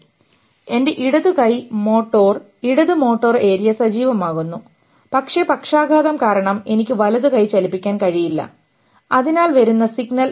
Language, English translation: Malayalam, So, my left hand motor, left motor area gets activated but I cannot move my right hand because of the paralysis